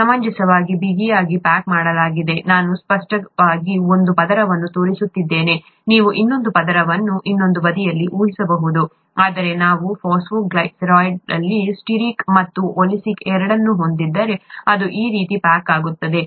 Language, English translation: Kannada, Reasonably tightly packed, I am just showing one layer for clarity, you can imagine the other layer on the other side; whereas if we have both stearic and oleic present on the phosphoglycerides, then it is going to pack like this